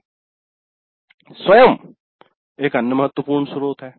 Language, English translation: Hindi, Then self that is another important source